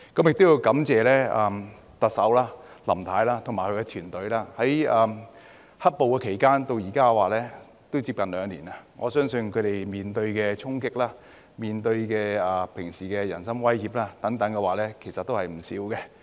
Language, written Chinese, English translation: Cantonese, 亦要感謝特首林太及她的團隊，由"黑暴"期間至今已接近兩年，我相信他們平時面對的衝擊、人身威脅等也不少。, I am also grateful to Mrs LAM and her team . I believe that they have been subject to a lot of threats and personal attacks over the two years or so since black - clad violence began to run rampant